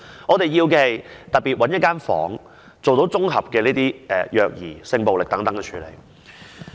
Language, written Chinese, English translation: Cantonese, 我們要求的是專門找一個房間，來處理綜合虐兒、性暴力等案件。, We are asking for a designated room for relevant personnel to handle child abuse and sexual violence cases